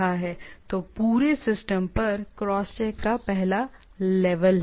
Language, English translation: Hindi, So, is a first level of cross check on the whole system